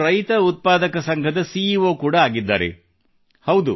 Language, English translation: Kannada, He is also the CEO of a farmer producer organization